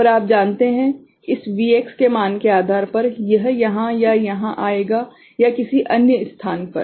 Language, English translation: Hindi, And depending on this Vx value so, it will come here or here or you know in some other place